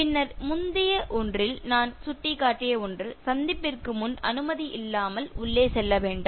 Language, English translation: Tamil, Then, this is something that I hinted in the previous one: Don’t barge in without an appointment